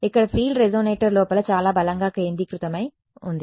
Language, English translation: Telugu, Here the field is much more strongly concentrated inside the resonator